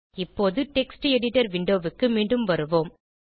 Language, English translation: Tamil, Now switch back to the Text Editor window